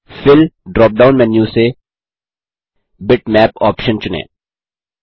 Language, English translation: Hindi, From the Fill drop down menu, select the option Bitmap